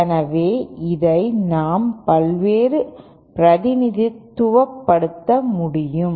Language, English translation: Tamil, So this how we can represent it